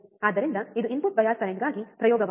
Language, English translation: Kannada, So, this is experiment for input bias current